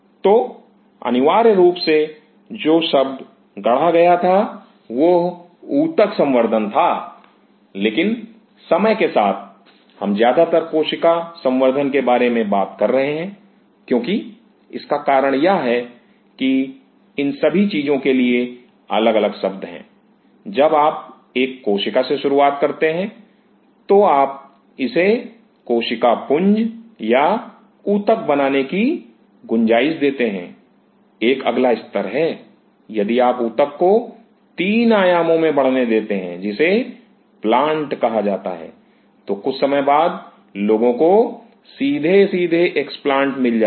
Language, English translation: Hindi, So, essentially the term which is coined was tissue culture, but over period of time; what we will be talking mostly about cell culture because the reason is there are different terms for all this things when you start with single cell you allow it to grow to form a mass or form a tissue; there is a next level, if you allow the tissue to in a three dimension that is called a plant sometime people directly get the explants